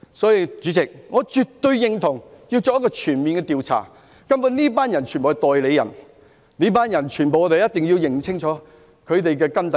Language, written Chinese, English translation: Cantonese, 所以，主席，我絕對認同要作全面調查，根本這些人全部都是代理人，我們一定要查清這群人的根底。, As such President I absolutely agree that a comprehensive inquiry must be conducted . Those people are basically all proxies and we must ascertain their detailed background